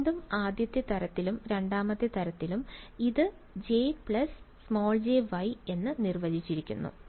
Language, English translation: Malayalam, Again of the first kind and of the second kind, this guy is defined as J minus j Y